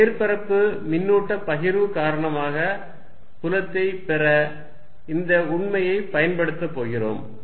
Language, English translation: Tamil, Now, we are going to use this fact to derive field due to a surface charge distribution